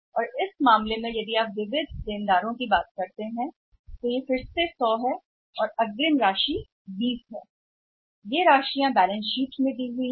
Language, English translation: Hindi, And in this case if you talk about then sundry debtors amount is again 100 right and advance amount is 20 so these figures are given in the balance sheet